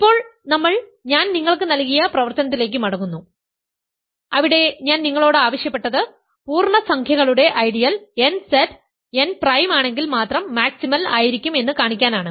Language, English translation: Malayalam, Now we go back to the exercise that I gave you where I asked you to show that an ideal nZ of the integers is maximal if and only if n is prime